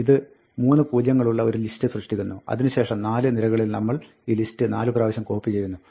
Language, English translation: Malayalam, This creates a list of 3 zeros; and then, we copy this list 4 times, in the four rows